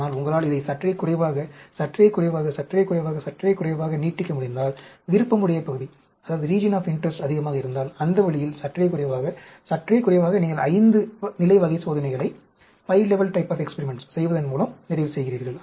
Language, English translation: Tamil, But, if you can extend this little bit, little bit, little bit, little bit; if the region of interest is more, so, that way, little bit, little bit, you are ending up doing 5 level type of experiments